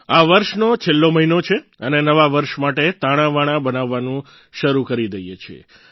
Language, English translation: Gujarati, " This is the last month of the year and one starts sketching out plans for the New Year